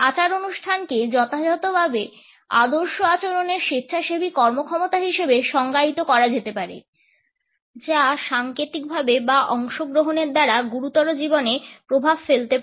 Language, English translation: Bengali, Ritual can be defined as a voluntary performance of appropriately patterned behaviour to symbolically effect or participate in the serious life